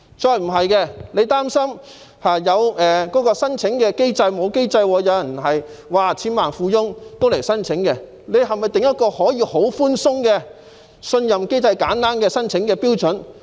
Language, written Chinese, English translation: Cantonese, 如果擔心沒有妥善機制，千萬富翁也可以前來申請，是否可以訂定一個寬鬆的信任機制和簡單的申請標準？, If he is worried that without a proper mechanism even millionaires may apply can a lenient honour system and simple application criteria be formulated?